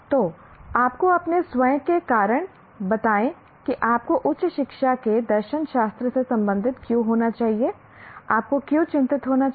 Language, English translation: Hindi, So give you your own reasons why you should be concerned with philosophy of higher education